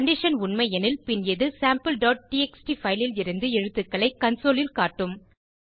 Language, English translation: Tamil, If the condition is true, then it will display the characters from Sample.txt file, on the console